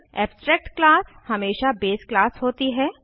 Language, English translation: Hindi, Abstract class is always a base class